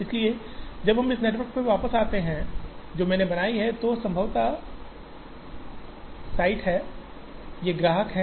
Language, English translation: Hindi, So, when we go back to this network which I draw again, these are the possible sites, these are the customers